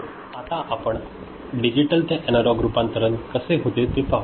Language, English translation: Marathi, Now, let us see how we can get a digital to analog conversion done